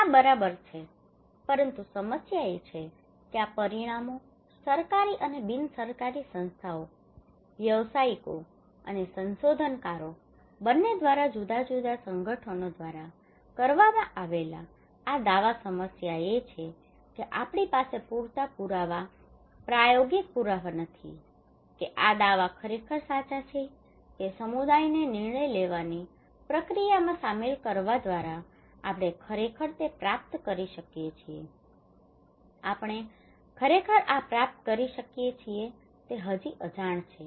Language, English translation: Gujarati, These are fine, but the problem is that these outcomes, these claims by different organizations both government and non governmental organisations, both practitioners and the researchers, the problem is that we do not have enough evidence empirical evidence that these claims are really true that through involving community into the decision making process we can really achieve that one, we can really achieve this one this is still unknown